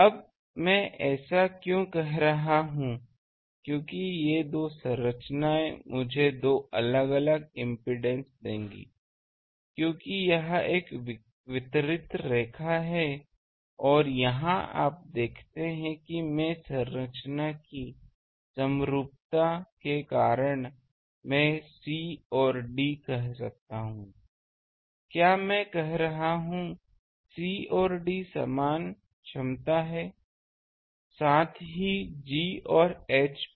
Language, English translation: Hindi, Now, why I am saying this because these two structures will give me two different impedances because this is a distributed line and here you see that I can say that c and d because of the symmetry of the structure, can I say c and d are at same potential also g and h are the same potential